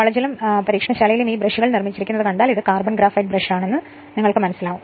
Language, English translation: Malayalam, In your college also in the lab if you see this brushes are made of you will find it is a carbon graphite brushes right